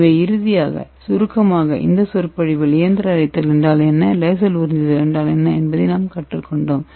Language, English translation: Tamil, And as a summary of this lecture so in this lecture we have learnt what is mechanical milling and what is laser absorption